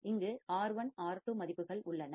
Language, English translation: Tamil, I have values R1 R2 right